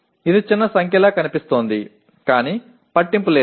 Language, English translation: Telugu, It looks like a small number but does not matter